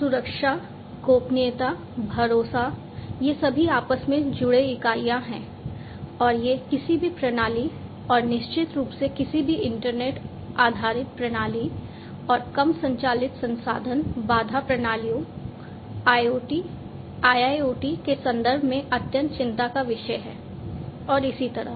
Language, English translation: Hindi, So, security, privacy, trust these are all interlinked entities and these are of utmost concern in the context in the context of any system, and definitely for any internet based system and much more for IoT and low powered resource constraint systems IoT, IIoT, and so on